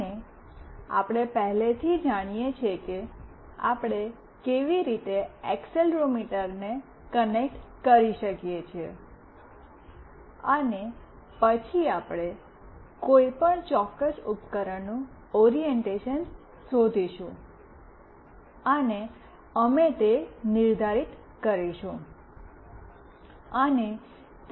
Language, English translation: Gujarati, And we already know how we can connect accelerometer, then we will figure out the orientation of any particular device, and we will determine that